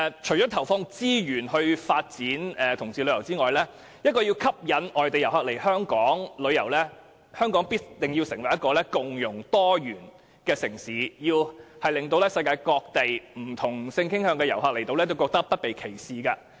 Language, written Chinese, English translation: Cantonese, 除了投放資源發展同志旅遊業外，要吸引外地旅客來港，香港必須成為共融多元的城市，令世界各地不同性傾向的旅客來港後，不會感到被歧視。, Apart from deploying resources to develop LGBT tourism Hong Kong must become a diversified and inclusive city in order to attract overseas visitors so that visitors of different sexual orientations from various parts of the world will not feel being discriminated